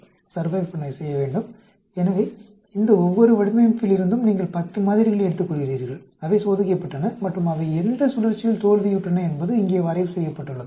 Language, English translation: Tamil, So you take 10 samples from each of these design and they were tested and at which cycle they failed is plotted here